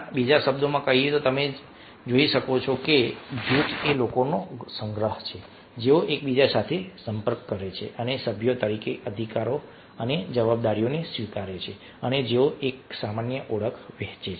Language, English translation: Gujarati, in other words, one can see a group is a collection of people who interact with one and other, except rights and obligations as members, and who share a common identity